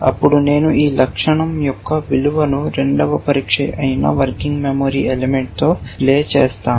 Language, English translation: Telugu, Then, I will match the value of this attribute to play which the working memory element that is the second test